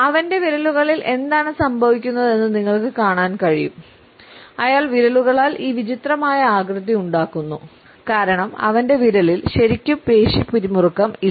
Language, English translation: Malayalam, You see what is going on with his fingers he had this weird shape going on because there is not any really muscular tension going on in his finger